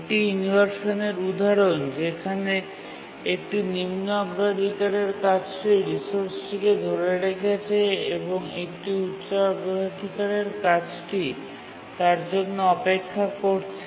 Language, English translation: Bengali, The inheritance related inversion occurs when a low priority task is using a resource and a high priority task waits for that resource